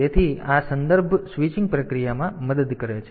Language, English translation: Gujarati, So, this helps in the context switching process